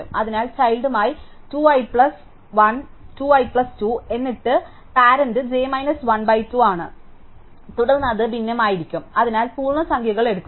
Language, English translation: Malayalam, So, with the child is 2 i plus 1 2 i plus 2 then the parent is j minus 1 by 2 and then it might be fractional, so take the integer parts